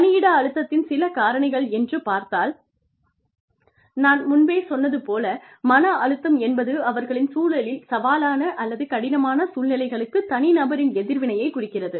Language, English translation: Tamil, Some sources of workplace stress, are again, like i told you, stress also refers to, the individual's response, to challenging or difficult situations, in their environment